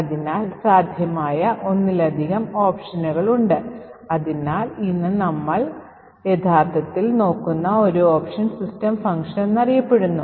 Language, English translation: Malayalam, So, there are multiple options that are possible so one option that we will actually look at today is known as the system function